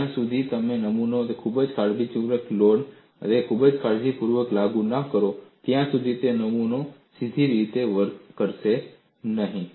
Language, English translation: Gujarati, Unless you have made the specimen very, very carefully and also applied the load very carefully, the specimen will not behave the way it should behave